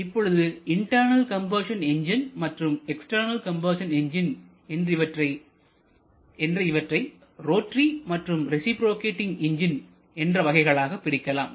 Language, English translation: Tamil, Now both internal combustion engines and external combustion engines can be classified into rotary and reciprocating